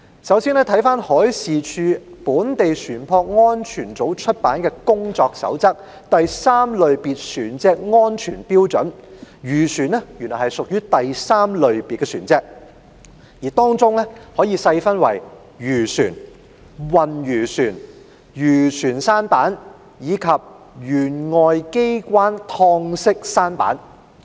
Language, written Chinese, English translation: Cantonese, 首先，根據海事處本地船舶安全組出版的《工作守則——第 III 類別船隻安全標準》，漁船屬於第 III 類別船隻，而這可以細分為漁船、運魚船、漁船舢舨，以及舷外機開敞式舢舨。, First pursuant to the CODE OF PRACTICE―Safety Standards for Class III Vessels published by the Local Vessels Safety Section of the Marine Department fishing vessels are Class III vessels which can be categorized into fishing vessels fish carriers fishing sampans and outboard open sampans